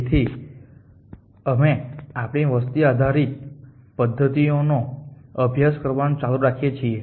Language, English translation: Gujarati, So continue in our study of population based methods